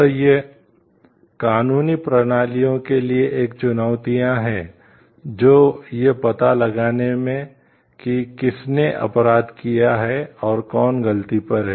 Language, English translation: Hindi, So, this poses new challenges for legal systems, in finding out who has done the crime and who is at fault